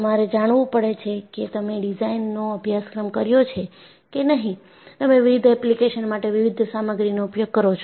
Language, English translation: Gujarati, So, you have to know, if you have a done a course in design, you use different materials for different applications